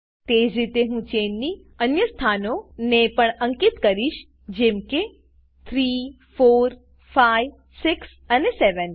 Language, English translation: Gujarati, Likewise I will number the other chain positions as 3, 4, 5, 6 and 7